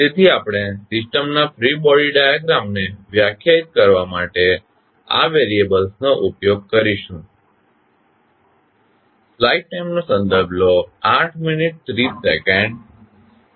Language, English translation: Gujarati, So, we will use these variables to define the free body diagram of the system